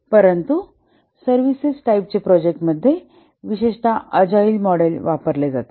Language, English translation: Marathi, But for services type of projects, typically the agile models are used